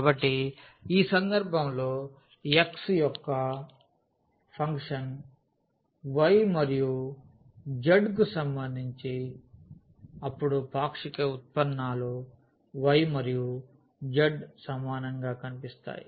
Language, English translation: Telugu, So, in this case for x is equal to the function of y and z then the partial derivatives with respect to y and z will appear